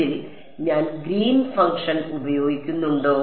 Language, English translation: Malayalam, Did I need to use the Green’s function in this